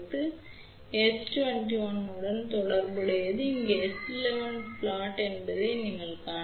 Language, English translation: Tamil, Now, corresponding to this S 2 1 you can see this is the S 1 1 plot over here